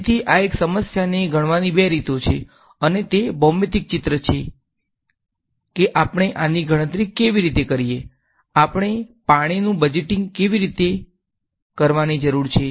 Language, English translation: Gujarati, So, these are two ways of counting the same problem and that is the geometrical intuition of how do we calculate this, how do we need to do the budgeting of the water